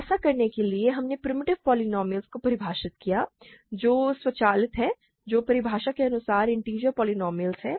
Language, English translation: Hindi, In order to do that we have defined primitive polynomials which are automatic which are by definition integer polynomials